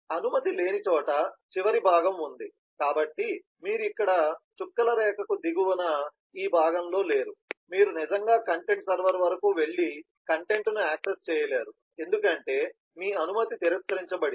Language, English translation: Telugu, there is of course a final part where permission is not there, so you do not actually in this part below the dotted line here, you do not actually able to go up to the content server and access the content because your permission has been denied